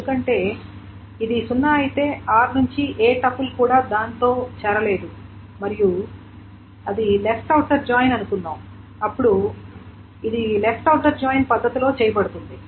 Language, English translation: Telugu, Because if it is zero meaning nobody from R has caught it and R is suppose the left outer joint is done in the left outer joint manner